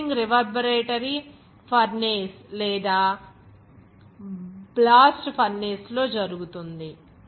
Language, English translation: Telugu, Roasting is done in a reverberatory furnace or in a blast furnace